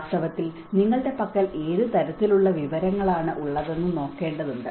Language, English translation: Malayalam, In fact, one has to look at what kind of information do you have